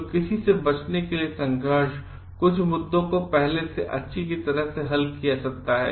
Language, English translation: Hindi, So, to avoid any conflict, some issues may be resolved were in advance